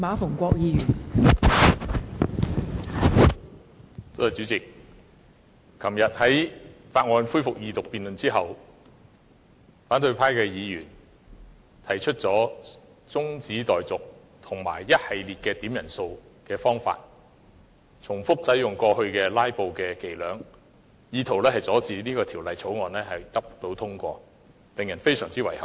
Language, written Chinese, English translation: Cantonese, 代理主席，昨天《廣深港高鐵條例草案》恢復二讀辯論之後，反對派的議員提出了中止待續議案並透過多次點算法定人數的方法，反覆使用過去"拉布"的伎倆，意圖阻止《條例草案》獲得通過，令人非常遺憾。, Deputy President after the resumption of the Second Reading debate on the Guangzhou - Shenzhen - Hong Kong Express Rail Link Co - location Bill the Bill yesterday an opposition Member moved an adjournment motion and they adopted the filibustering tactics repeatedly as they did in the past by requesting headcounts attempting to impede the passage of the Bill . Their practice is really regrettable